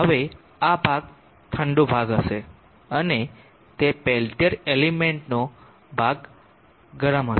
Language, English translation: Gujarati, Now this portion will be the cold portion and that will be the hot portion of the peltier element